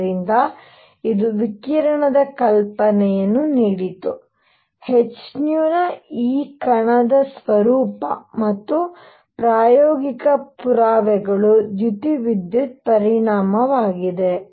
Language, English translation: Kannada, So, this is this is what what gave the idea of radiation; also having this particle nature of h nu and experimental evidence was photoelectric effect